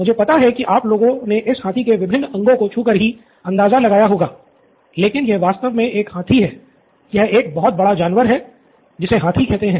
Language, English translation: Hindi, I know you guys have been touching different parts of this elephant but it’s actually an elephant, it’s an big animal called an elephant